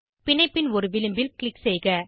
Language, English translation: Tamil, Click on one edge of the bond